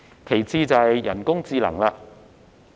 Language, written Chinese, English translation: Cantonese, 其次是人工智能。, Next is artificial intelligence